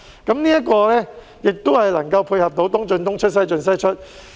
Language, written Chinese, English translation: Cantonese, 這安排也可以配合"東進東出、西進西出"。, This arrangement is also in line with the principle of East in East out West in West out